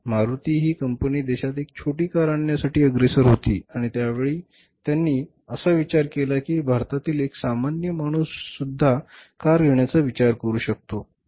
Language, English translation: Marathi, Maruti was instrumental, they were the pioneer in India to bring the small car in the country and at that their say thinking was that even a common man India can think of having a car